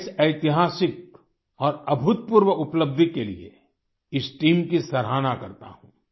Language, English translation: Hindi, I commend the team for this historic and unprecedented achievement